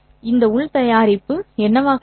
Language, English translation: Tamil, Yes, what would be this inner product